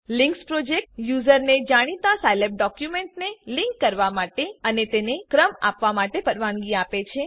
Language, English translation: Gujarati, The links project allows users to link known scilab documents and to rank them